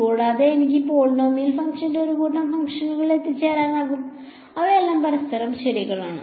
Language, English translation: Malayalam, And, I can arrive at a set of functions that are polynomial function which are all orthogonal to each other ok